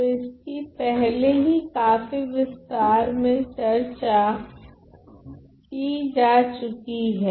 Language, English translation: Hindi, So, this is already been discussed in great detail right